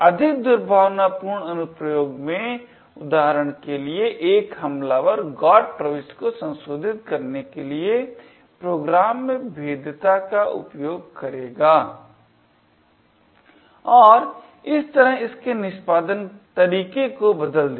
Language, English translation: Hindi, In a more malicious application, for example an attacker would use a vulnerabilty in the program to modify the GOT entry and thereby change its execution pattern